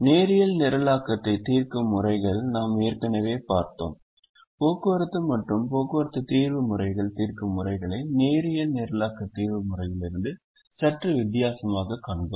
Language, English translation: Tamil, we have already seen methods to solve transportation, and transportation solution methods are slightly different from the linear programming solution method